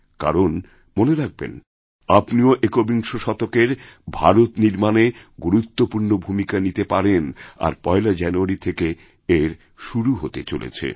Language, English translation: Bengali, You too can be the makers of 21st century India and this opportunity comes into being, very specially, on the 1st of January